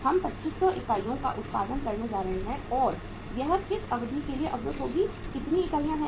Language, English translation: Hindi, How many units we are going to produce 2500 units and what is the period for which it will be blocked